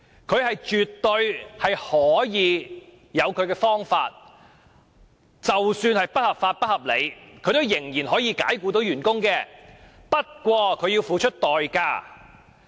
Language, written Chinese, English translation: Cantonese, 僱主絕對可以用他的方法，即使是不合理及不合法的方法，解僱員工，不過，他要付出代價。, While an employer can absolutely dismiss an employee in his own way even if that is unreasonable and unlawful he has to pay a price